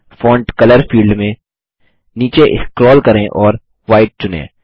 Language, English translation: Hindi, In Font color field, scroll down and select White